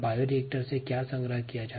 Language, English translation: Hindi, that's exactly what a bioreactor is